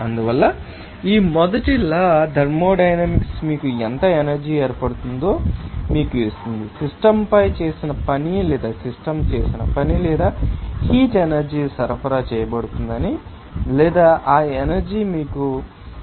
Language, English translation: Telugu, So, that is why this first law thermodynamics will give you that how much energy will be formed internal energy will be forms based on the you know that work done on the system or work done by the system or heat energy will be supplied or that energy may be you know transferred by the metals